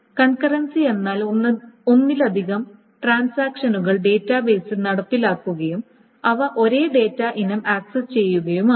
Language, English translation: Malayalam, Conquerancy essentially means that more than one transactions are being executed in the database and they may be accessing the same data item